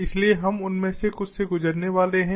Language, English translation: Hindi, so we are going to go through some of them